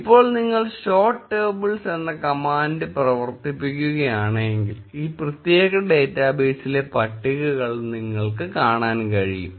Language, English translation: Malayalam, Now, if you run the command, show tables, you will be able to see the list of tables in this particular database